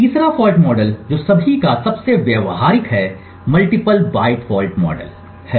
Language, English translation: Hindi, Third fault model which is the most practical of all is the multiple byte fault model